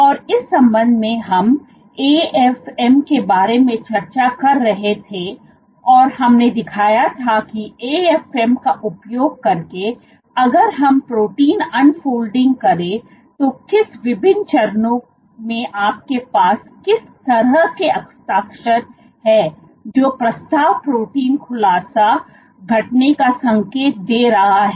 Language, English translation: Hindi, And in that regard, we had been discussing about AFM and we had shown how what are the different stages in which if you do protein unfolding using An AFM what kind of a signature do you have which is indicative of a protein unfolding event